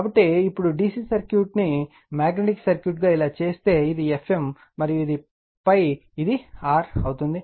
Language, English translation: Telugu, So, now if we make the DC circuit magnetic circuit like this, so this is F m, and this is phi, this is R